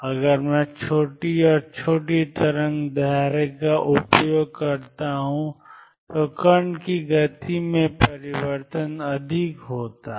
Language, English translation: Hindi, If I use shorter and shorter wavelength the change in the momentum of the particle is more